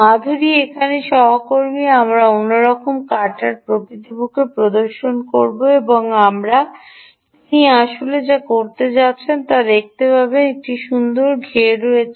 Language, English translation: Bengali, ah, madhuri, my colleague here, we will actually demonstrate another type of harvester and what she is actually going to do is: ah, you will see that there is a nice enclosure